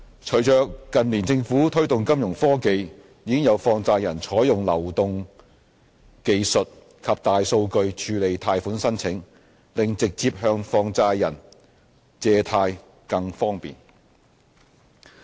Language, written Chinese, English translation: Cantonese, 隨着近年政府推動金融科技，已有放債人採用流動技術及大數據處理貸款申請，令直接向放債人借貸更方便。, With the promotion of financial technology by the Government in recent years money lenders have already processed loan applications by mobile technology and big data making it more convenient to borrow from money lenders direct